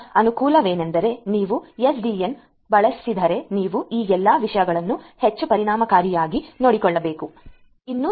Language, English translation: Kannada, So, the advantages would be that if you use SDN you are going to take care of all of these things in a much more efficient manner